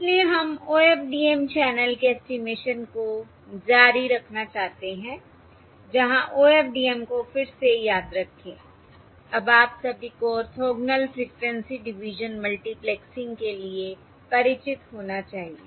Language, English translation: Hindi, all right, So we are going to continue looking at OFDM channel estimation where remember again, OFDM all of you should be familiar by now stands for Orthogonal Frequency, Orthogonal Frequency Division Multiplexing